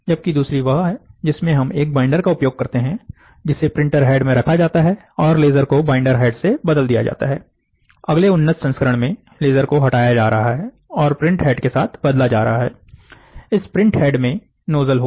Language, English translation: Hindi, The other one is where in which you use a binder, which is kept in a printer head and then this binder instead of a laser, the laser is replaced by a binder head, this binder, the binder head, or the ,sorry, the next advanced version is removing the laser and then replacing with the print head, so, this print head will have a nozzle